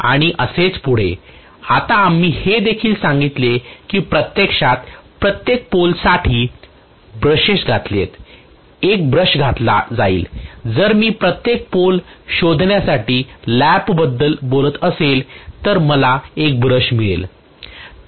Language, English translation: Marathi, Now we told also that the brushes are inserted actually you know for every pole one brush will be inserted if I am talking about the lap finding for every pole I will have one brush